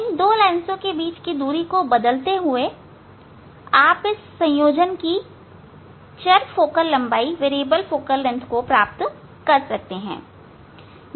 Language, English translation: Hindi, changing the separation of these two lens, you can find you can get the variable focal length of this combination